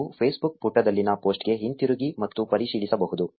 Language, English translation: Kannada, You can go back to the post on the Facebook page and verify